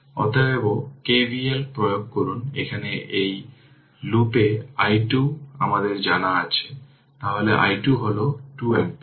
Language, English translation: Bengali, Therefore, you apply your what you call KVL, here in this loop i 2 is known so, if you do so let me so i 2 is minus 2 ampere